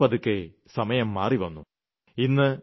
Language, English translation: Malayalam, But gradually, times have changed